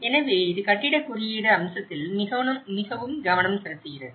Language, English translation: Tamil, So, it is very focused on the building code aspect